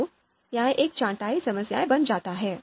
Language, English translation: Hindi, So that becomes a sorting problem